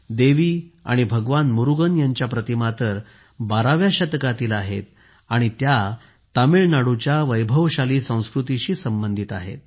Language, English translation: Marathi, The idols of Devi and Lord Murugan date back to the 12th century and are associated with the rich culture of Tamil Nadu